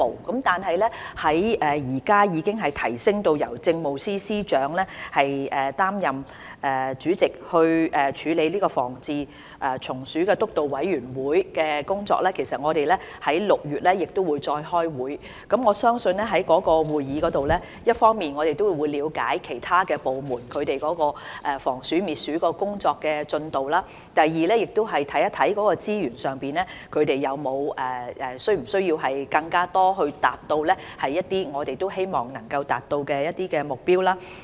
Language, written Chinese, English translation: Cantonese, 然而，由於現在已提升由政務司司長擔任主席，來處理防治蟲鼠督導委員會的工作，而且會在6月再開會，因此，我相信在會議上，我們可以一方面了解其他部門的防鼠、滅鼠工作進度，而另一方面，亦會看看資源方面是否需要增加，以協助他們達到當局所希望達到的目標。, Nevertheless since the Pest Control Steering Committee has been upgraded to be chaired by the Chief Secretary for Administration and the committee will convene a meeting to deal with the anti - rodent work in June I therefore believe that we can find out the progress of rodent prevention and control work by other government departments at that time . And on the other hand we will be able to look into whether additional resources should be allocated with a view to achieving the goal we wish to achieve